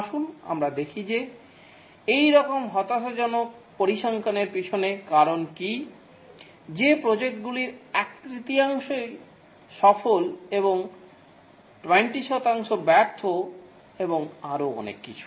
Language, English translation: Bengali, Let's see what is the reason behind such a dismal figure that only one third of the projects is successful and 20% are failure and so on